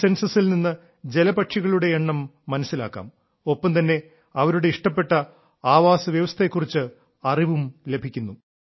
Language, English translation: Malayalam, This Census reveals the population of water birds and also about their favorite Habitat